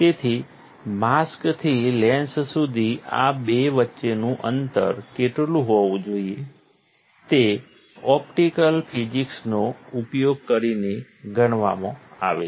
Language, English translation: Gujarati, So, from the mask to the lens what should be the distance between two is calculated using optical physics